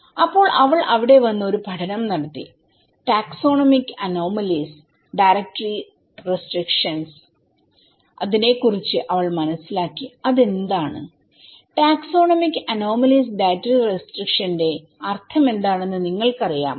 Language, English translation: Malayalam, So, then she came there was a study and she came to know about the Taxonomic anomalies dietary restrictions, what is that, do you know what is the meaning of taxonomic anomalies dietary restrictions